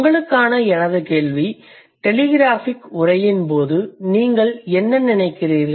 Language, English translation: Tamil, Then my question for you would be what do you think in case of telegraphic speech